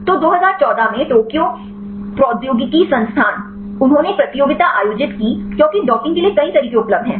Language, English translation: Hindi, So, Tokyo Institute of Technology in 2014; they organized a competition because there are several methods available for docking